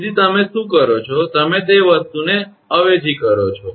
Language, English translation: Gujarati, So, what you do, you substitute that thing